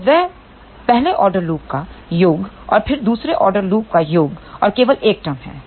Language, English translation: Hindi, So, that is the summation of the first order loop and then, plus summation of second order loop ok and there is only 1 term